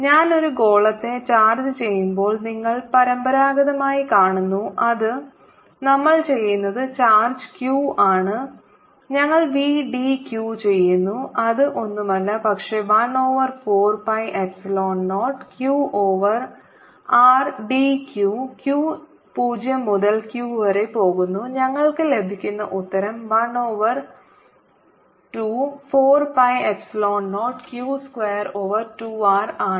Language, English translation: Malayalam, you see, conventionally, when i charge a sphere which with capital, with charge q, what we do is we do v d q, which is nothing but one over four pi, epsilon zero, q over r, d q, q, going from zero to capital q, and that answer we get is one over four pi epsilon zero, q square over two r